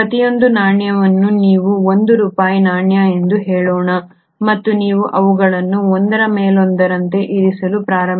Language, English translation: Kannada, Each coin you can visualize a set of let us say 1 rupee coin and you start putting them one above the other